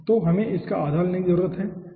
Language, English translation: Hindi, so half of this 1 we need to take